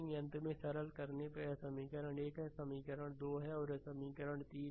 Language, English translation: Hindi, So, finally, upon simplification this one this is equation 1 this equation 2 and this is equation 3